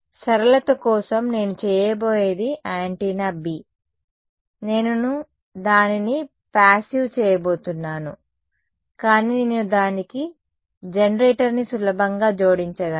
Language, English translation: Telugu, For simplicity, what I am going to do is the antenna B, I am just going to make it passive ok, but I can easily add a generator to it ok